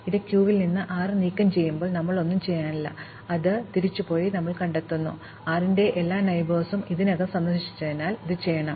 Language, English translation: Malayalam, So, when we remove 6 from the queue, we have nothing to do, we go back and find that, there is nothing to be done, because all the neighbors of 6 have already been visited